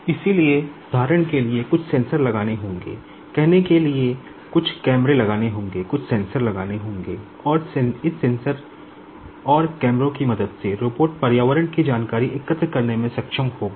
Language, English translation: Hindi, So, will have to put some sensors for example, say will have to put some camera will have to put some sensors and with the help of this sensors and cameras, the robot will be able to collect information of the environment